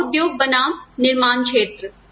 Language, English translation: Hindi, Service industry versus the manufacturing sector